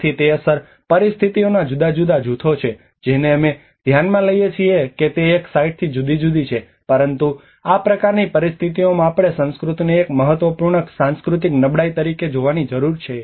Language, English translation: Gujarati, So it is a different sets of impact situations which we considered varies from site to site but in this kind of conditions we need to look at the culture as an important cultural vulnerability